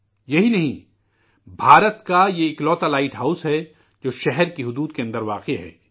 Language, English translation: Urdu, Not only this, it is also the only light house in India which is within the city limits